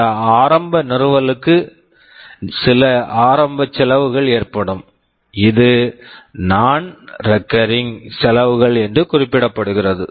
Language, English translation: Tamil, And that initial installation will incur some initial cost; this is what is referred to as non recurring expenditure